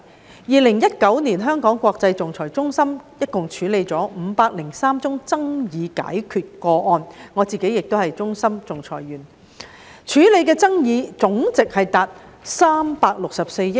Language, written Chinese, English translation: Cantonese, 在2019年，香港國際仲裁中心一共處理503宗爭議解決個案——我自己亦是國際仲裁中心的仲裁員——處理的爭議總值達364億元。, In 2019 the Hong Kong International Arbitration Centre HKIAC handled a total of 503 dispute resolution cases―I am also an HKIAC arbitrator―and the total amount in dispute reached HK36.4 billion